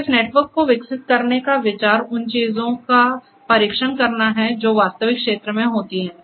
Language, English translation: Hindi, So, the idea of developing this network is to test the things that actually occur in real field